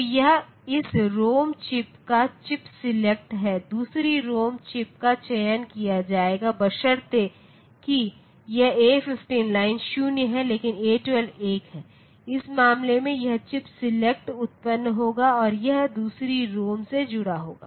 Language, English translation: Hindi, So, this is the chip select of this ROM chip similarly, the second ROM chip will be selected provided this A15 line is 0, but A12 is 1 in that case this chip select will be generated and it will be connected to the second ROM s